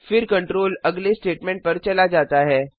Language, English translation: Hindi, The control then jumps to the next statement